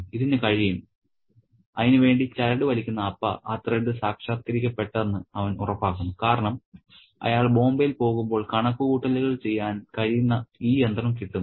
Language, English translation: Malayalam, So, Appa who makes the threat, he makes sure that that threat is realized because when he goes to Bombay, he gets this machine that can do the calculation